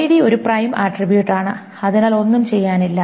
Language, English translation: Malayalam, So ID, it's a prime attribute, so nothing to be done